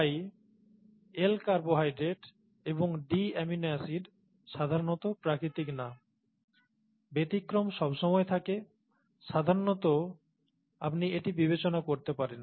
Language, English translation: Bengali, So L carbohydrates and D amino acids are not natural, usually, okay